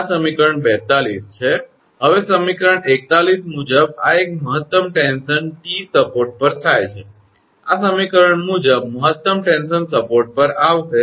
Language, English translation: Gujarati, Now, according to equation 41 this one maximum tension T occurs at the support as per this equation maximum tension will occur at the support